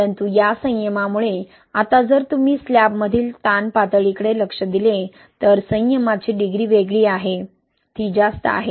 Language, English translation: Marathi, But because of this restraint, right, now if you look into the strain level in slab, the degree of restraint is different, it is high, right